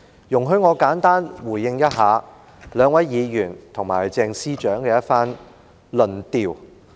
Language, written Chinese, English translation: Cantonese, 容許我簡單回應兩位議員及鄭司長的一番論調。, Allow me to respond briefly to the arguments made by the two Members and Secretary CHENG